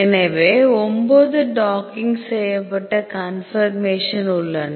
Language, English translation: Tamil, So, there are 9 docked conformation